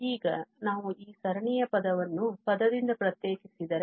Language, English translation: Kannada, Now, if we differentiate this a series term by term